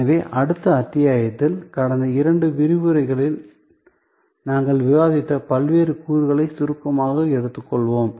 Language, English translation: Tamil, And so in the next episode, we will take up the different elements that we have discussed in the last 2 lectures in short